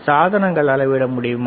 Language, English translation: Tamil, Can you measure the devices